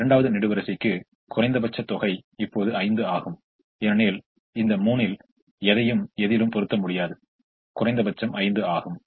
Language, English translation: Tamil, for the second column, the minimum is now five because we cannot put anything in this three